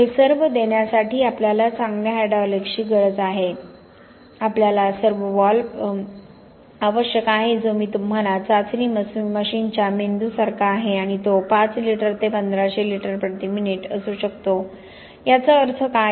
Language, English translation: Marathi, To provide all this we need good hydraulics, we need the servovalve that I told you is like the brain of the testing machine and it can range from 5 litres to 1500 litres per minute, what does this mean